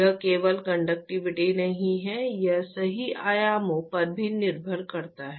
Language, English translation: Hindi, It is not just the conductivity it also depends upon the dimensions right